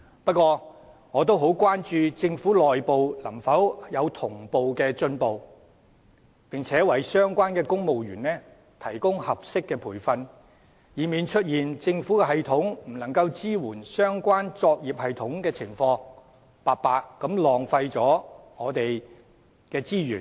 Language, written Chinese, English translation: Cantonese, 不過，我也很關注政府內部能否同步進行，並為相關的公務員提供合適的培訓，以免出現政府系統不能支援相關作業系統的情況，白白浪費我們的資源。, However I am greatly concerned about whether this can be implemented internally in the Government in tandem and whether suitable training can be provided to the civil servants concerned so as to avoid incompatibility of the government system with the relevant operating systems which would otherwise lead to wastage of resources